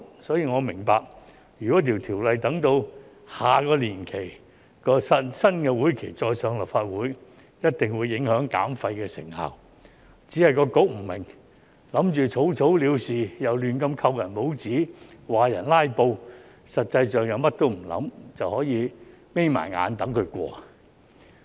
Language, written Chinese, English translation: Cantonese, 所以，我明白如《條例草案》待下個新會期才提交立法會，一定會影響減廢的成效，只是局方不明白，打算草草了事，又胡亂扣人帽子指人"拉布"，實際上卻甚麼也不想，便可以閉上眼睛等待《條例草案》通過。, Therefore I understand if the Bill is to be introduced to the Legislative Council in the next term the effectiveness of waste reduction will be affected for sure . Yet the Bureau does not understand this . It wants to finish its job hastily and makes unfounded allegations of filibustering